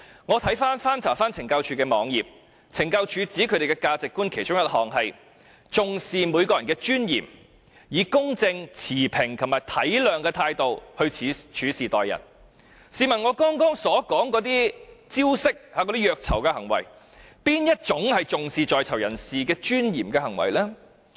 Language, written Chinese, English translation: Cantonese, 我曾翻查懲教署網頁，懲教署指他們的價值觀其中一項是"重視每個人的尊嚴，以公正持平及體諒的態度處事待人"，試問我剛才所說的那些虐囚招式和行為，有哪一種是重視在囚人士尊嚴的行為呢？, From CSDs website I have noted that one of the values they treasure is humanity stating that they respect the dignity of all people with emphasis on fairness and empathy . So may I ask which one of the ways and acts of abuse brought up by me just now can show CSDs genuine respect for prisoners dignity?